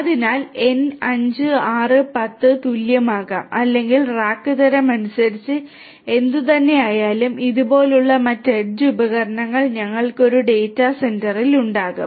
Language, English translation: Malayalam, So, n may be equal to 5, 6, 10 or whatever depending on the type of rack, like this we will have other such edge devices in a data centre